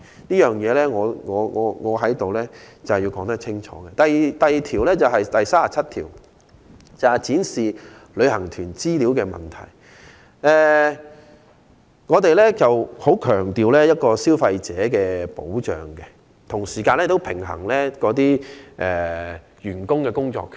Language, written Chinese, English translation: Cantonese, 此外，關於《條例草案》第37條"展示旅行團的資料"的問題，我們強調既要保障消費者，同時亦要平衡員工的工作權。, Besides regarding the display of information about tour group as provided in clause 37 of the Bill while consumers should be protected we also have to balance employees right to work